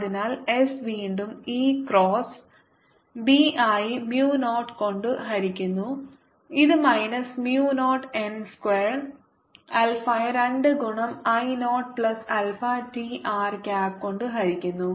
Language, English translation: Malayalam, so s is again given as e cross b divided by mu naught, which is given as minus mu naught n square alpha divided by two into i naught plus alpha t r cap